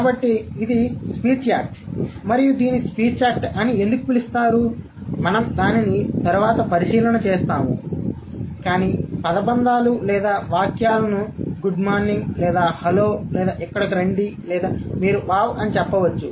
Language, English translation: Telugu, It's a speech act and why it would be called as a, what is the speech act we are going to check it later, but the phrases or the sentences like good morning or hello or come here or you can say wow, even such a single word like wow which is actually a full sentence in its own sense